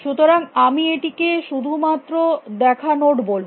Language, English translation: Bengali, So, I will just call it seen nodes